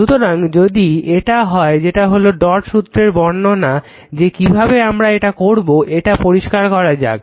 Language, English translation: Bengali, So, if it is so that is illustration of dot convention that how we will do it right so let me clear it